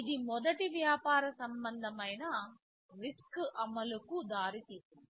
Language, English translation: Telugu, TSo, this resulted in the first commercial RISC implementation